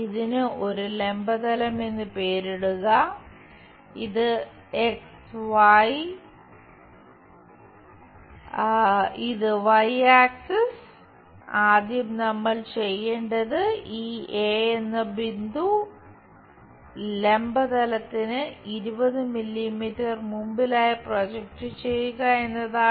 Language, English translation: Malayalam, Name it this is vertical plane this is x axis y axis and first thing, what we have to do is project this point a in front of vertical plane by 20 mm